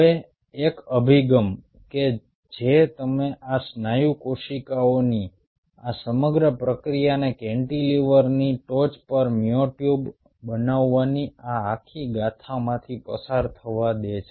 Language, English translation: Gujarati, now, one of the approaches: you allow this whole process of these muscle cells going through this whole saga of forming myotubes on top of the cantilever